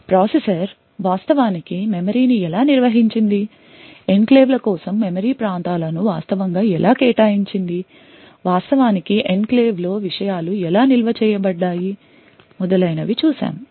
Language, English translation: Telugu, We looked at how the processor actually managed the memory, how it actually allocated memory regions for enclaves, how things were actually stored in the enclave and so on